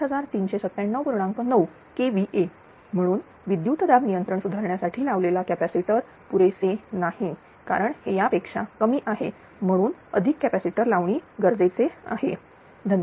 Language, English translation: Marathi, 9 KVA therefore, the capacitor installed to improve the voltage regulation are not adequate, right because this is less than this one therefore, additional capacitor installation is required